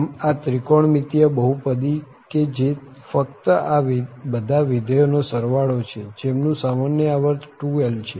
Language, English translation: Gujarati, So, for this trigonometric polynomial which is just the edition of all these functions whose common period is 2l